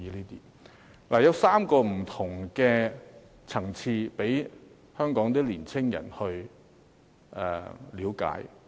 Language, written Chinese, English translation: Cantonese, 計劃有3個不同層次讓香港年青人去了解。, The funding scheme has three country levels for young people in Hong Kong to explore